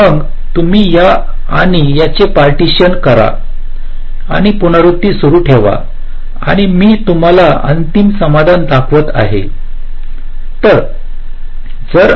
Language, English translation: Marathi, then you do a partitioning of this and this and continue recursively and i am showing you the final solution